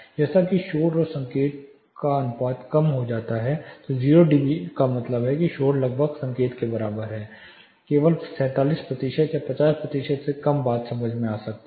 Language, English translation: Hindi, As the your signal to noise ratio reduces 0 dB means noise is almost equal to the signal only 47 percent or less than 50 percent can be understood